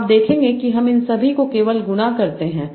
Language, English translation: Hindi, So how do I get a number by multiplying these two